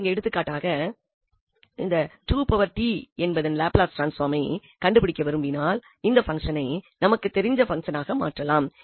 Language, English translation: Tamil, So, we have for instance, here if you want to find the Laplace transform of 2 power t, again this function can be converted into this known transforms